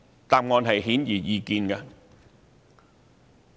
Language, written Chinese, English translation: Cantonese, 答案顯而易見。, The answer to this question is obvious